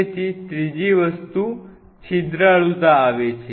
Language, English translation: Gujarati, So, the third thing comes is the porosity